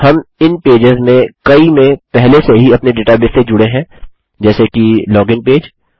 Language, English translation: Hindi, We have already connected to the database in several of these pages like the Login page